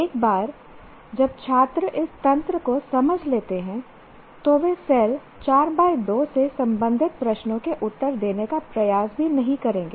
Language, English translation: Hindi, So, once the students understand this mechanism, then they will not even make an attempt to answer questions that belong to cell 4 comma 2